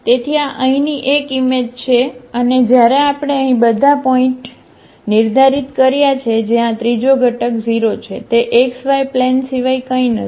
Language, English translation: Gujarati, So, this is the image here and when we have set here all the points where this third component is 0 this is nothing but the xy plane